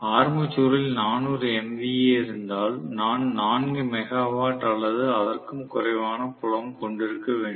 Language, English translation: Tamil, So if the armature is having 400 MVA I may have the field to be only about 4 megawatt or even less